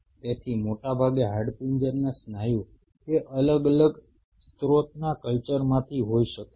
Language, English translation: Gujarati, So, mostly skeletal muscle could be culture from 2 different sources